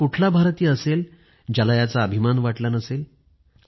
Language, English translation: Marathi, Which Indian wouldn't be proud of this